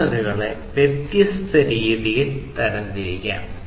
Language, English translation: Malayalam, The sensors could be classified in different, different ways